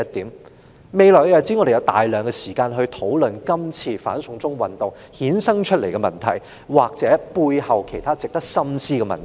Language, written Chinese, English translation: Cantonese, 在未來的日子，我們有大量時間討論今次"反送中"運動衍生出的問題，或背後其他值得深思的問題。, In the days to come we have an abundance of time to discuss the problems generated by this anti - extradition to China movement or other questions needing reflection